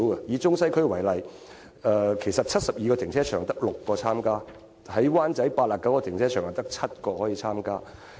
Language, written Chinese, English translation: Cantonese, 以中西區為例，在72個停車場中只有6個參加；在灣仔 ，89 個停車場中只有7個參加。, In the Central and Western districts for example only six in 72 car parks have joined the service while only seven in 89 car parks in Wan Chai have participated